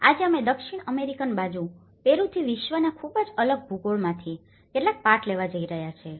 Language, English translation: Gujarati, Today, we are going to take some lessons from a very different geography of the world from the South American side the Peru